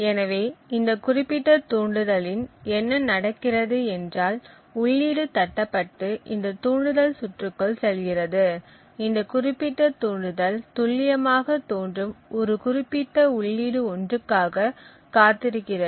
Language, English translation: Tamil, So, in this particular trigger what happens is that the input is tapped and goes into this trigger circuit and this particular trigger waits for precisely one specific input to appear, when this input appears it provides an output of 1